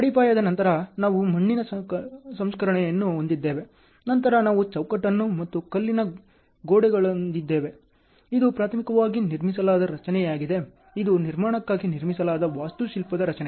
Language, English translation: Kannada, Then after foundation, we have soil treatment, after then we have framing, so then masonry walls; so this is primarily a structure built, an architectural structure built for the construction ok